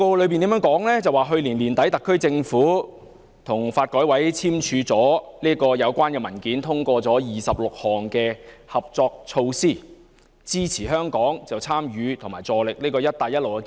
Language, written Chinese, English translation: Cantonese, 施政報告指出，去年年底，特區政府與國家發展和改革委員會簽署了有關文件，通過26項合作措施，支持香港參與及助力"一帶一路"建設。, In the Policy Address it is pointed out that at the end of last year the SAR Government signed the relevant documents with the National Development and Reform Commission so as to support Hong Kongs full participation in and contribution to the Belt and Road Initiative through the 26 collaboration measures